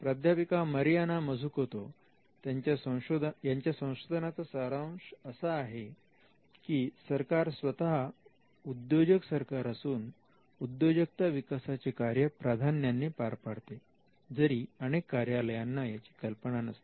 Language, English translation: Marathi, Now, the theme of professor Mariana Mazzucatos research is that the state itself is an entrepreneurial state and the state predominantly does this function without many offices realizing it